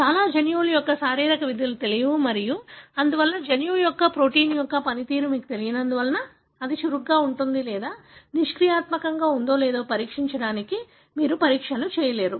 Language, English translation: Telugu, So, the physiological functions of most of the genes are not known and therefore, since you do not know the function of the gene or the protein, you cannot, come up with assays to test whether it is active or inactive, how mutations could have affected and so on